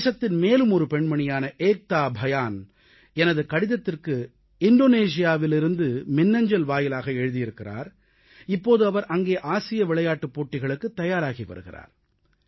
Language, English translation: Tamil, Ekta Bhyan, another daughter of the country, in response to my letter, has emailed me from Indonesia, where she is now preparing for the Asian Games